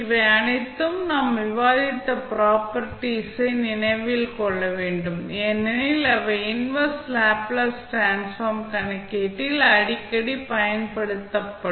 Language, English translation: Tamil, So, all those, the properties which we have discussed, you have to keep in mind because these will be used frequently in the, calculation of inverse Laplace transform